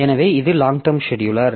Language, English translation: Tamil, So, this is the long term scheduler